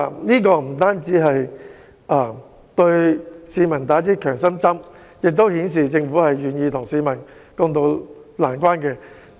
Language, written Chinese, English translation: Cantonese, 這不單會為市民打下強心針，亦顯示政府願意與市民共渡難關。, It will not only give the people a boost but also demonstrate the Governments willingness to weather the hard times with them